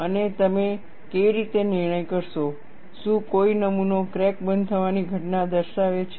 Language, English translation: Gujarati, And, how do you judge, whether a specimen displays crack closure phenomena